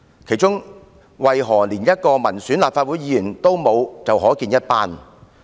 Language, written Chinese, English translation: Cantonese, 當中連一位民選立法會議員也沒有，便可見一斑。, The answer is very obvious when there is not even one elected Legislative Council Member sitting on the MTRCL Board